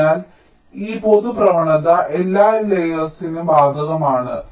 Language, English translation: Malayalam, ok, so this general trend holds for all the layers